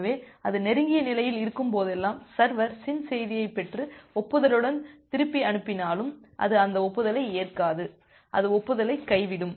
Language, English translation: Tamil, So, whenever it is in the close state even if the server receives the SYN message and send back with an acknowledgement, it will not accept that acknowledgement, it will simply drop the acknowledgement